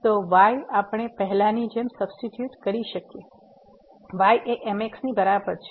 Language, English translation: Gujarati, So, y we can substitute as earlier, is equal to